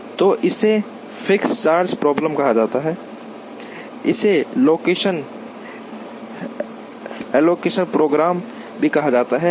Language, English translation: Hindi, So, it is called fixed charge problem, it is also a called location allocation problem